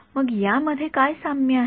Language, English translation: Marathi, So, what is common to these guys